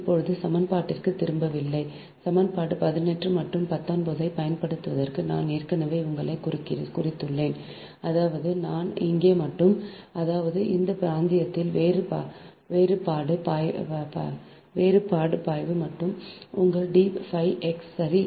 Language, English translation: Tamil, right now, not going back to the equation i have already you here for using equation eighteen and nineteen, you will get that differential flux linkages that d phi x is equal to mu zero into h x, into d x